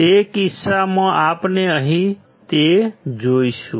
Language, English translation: Gujarati, In that case we will see here that